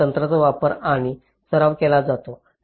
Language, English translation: Marathi, so these techniques are used and practiced